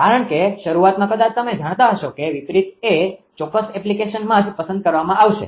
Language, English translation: Gujarati, Because at the start of you perhaps you know that your reverse might be preferred in certain application right